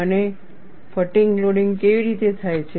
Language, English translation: Gujarati, And how is the fatigue loading done